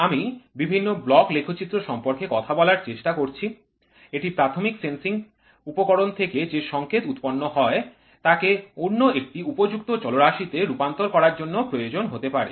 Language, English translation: Bengali, I am trying to talk about various block diagrams it may be necessary to convert the outputs signal of the primary sensing elements to another more suitable variable